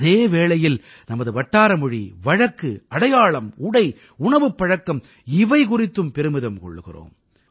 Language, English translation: Tamil, We are as well proud of our local language, dialect, identity, dress, food and drink